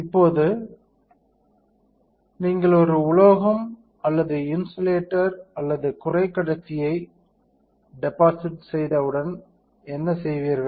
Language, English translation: Tamil, Now, what you will do, once you deposit a metal or insulator or semiconductor